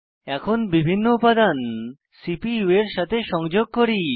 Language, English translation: Bengali, Now, let us see the various parts of the CPU